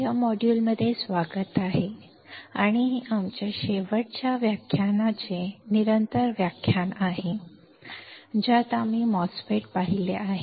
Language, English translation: Marathi, Welcome; to this module and this is a continuation of our last lecture in which we have seen the MOSFET